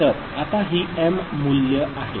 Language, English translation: Marathi, So, now this is the value of m right, this is the value of m